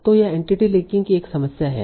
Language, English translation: Hindi, So, this is the problem of entity linking